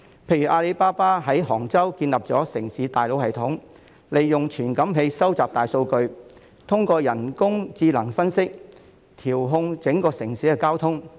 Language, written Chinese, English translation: Cantonese, 例如，阿里巴巴在杭州建立的城市大腦系統，利用傳感器收集大數據，透過人工智能分析，調控整個城市的交通。, For example the urban brain system established by Alibaba in Hangzhou collects big data with sensors for artificial intelligence analysis to control the traffic of the entire city